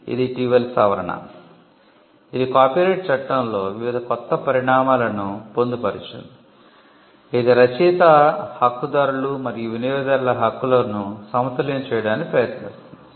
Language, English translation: Telugu, We have an amendment in 2012 the copyright amendment Act, 2012 which was a recent amendment, which incorporated various new developments in copyright law it seeks to balance the rights of the author’s, right holders and the users